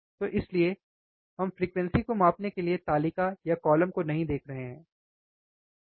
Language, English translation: Hindi, So, that is why we are not looking at the table or a column in the table to measure the frequency, alright